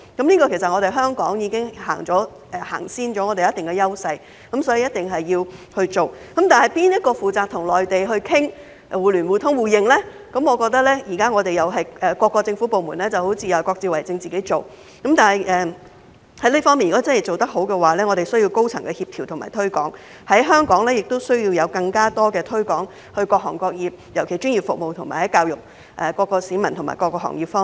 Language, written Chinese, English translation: Cantonese, 其實，香港就此已經踏前了，有一定的優勢，所以一定要落實執行，但由誰負責與內地商討互聯互通互認，我認為現時各個政府部門似乎各自為政，但在這方面如果想做得好，便需要高層的協調和推廣，在香港亦需要向各行各業進行更多推廣，特別是在專業服務及教育各市民和行業方面。, Therefore implementation is a must but who should be tasked to discuss with the Mainland for interconnection mutual access and mutual recognition? . It seems to me that there is currently a lack of coordination among various government departments but if we wish to do a good job in this regard high - level coordination and promotion is required . Besides more promotional efforts are needed in Hong Kong to reach out to various sectors particularly the professional services and educate members of the public and various industries